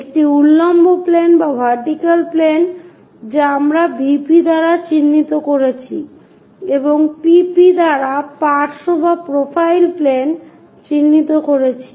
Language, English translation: Bengali, The different reference planes can be a horizontal plane which we denoted by HP, a vertical plane we denoted by VP, and side or profile planes by PP